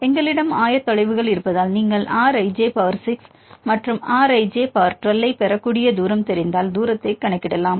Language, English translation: Tamil, Because we have the coordinates, you can calculate the distance if you know the distance you can easily get the R i power 6 and R i power 12